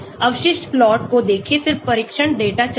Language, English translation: Hindi, Look at residual plots then run the test data